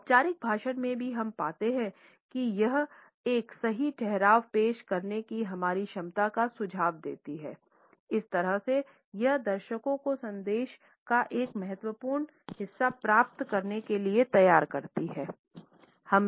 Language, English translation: Hindi, ” In formal speech also we find that it suggest our capability to introduce a right pause in such a way that it prepares the audience to receive a significant portion of message